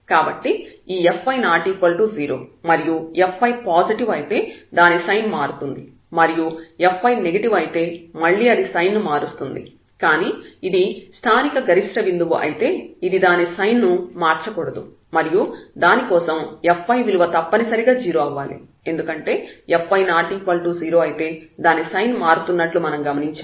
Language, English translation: Telugu, So, if this f y is not 0, if f y is positive it is changing sign if f y is negative it is again changing sign, but if this is a point of local maximum then this should not change its sign and for that the f y must be 0, because if f y is not 0 then we have observed that it is changing sign